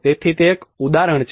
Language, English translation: Gujarati, So that is one example